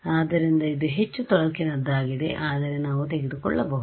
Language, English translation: Kannada, So, it is a more cumbersome, but we can take